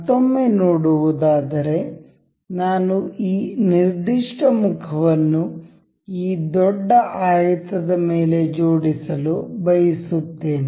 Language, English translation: Kannada, Once again, you can see say I want to align this particular face over this larger rectangle